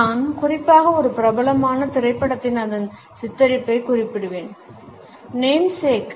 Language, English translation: Tamil, I would particularly refer to its portrayal in a popular movie Namesake